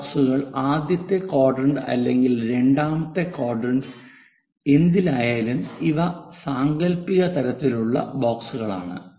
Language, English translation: Malayalam, And these blocks boxes whatever the first quadrant, second quadrant these are imaginary kind of boxes